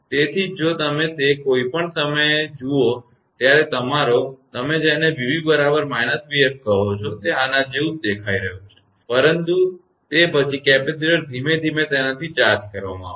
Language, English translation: Gujarati, So, if you look into that at any instant when your, what you call that v b is equal to minus v f it is showing like this and, but after that capacitor will be slowly and slowly it will be getting charged